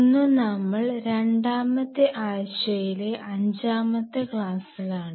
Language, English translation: Malayalam, So, today we are into the fifth lecture of the second week